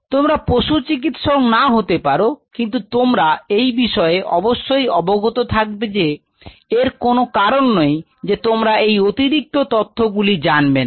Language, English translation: Bengali, See if you are not in veterinarian will not be aware of it because there is no reason for you to know this additional piece of information